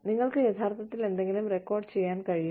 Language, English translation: Malayalam, You can actually record something